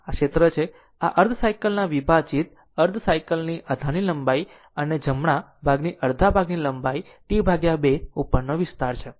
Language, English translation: Gujarati, So, this is the area this is the area over the half cycle divided by the length of the base of half cycle and this length of the base of half is T by 2, up to this right